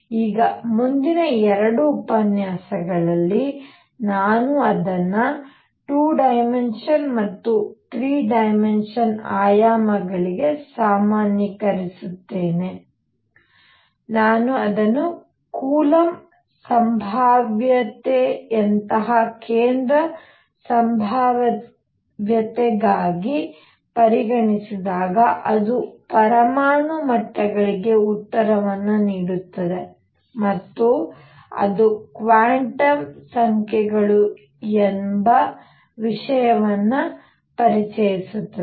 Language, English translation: Kannada, Now, in the next two lectures, I will generalize it to two dimensions and three dimensions and three dimensions very important when I consider it for a central potential like coulomb potential because it gives you the answer for atomic levels, and it introduces an idea called quantum numbers alright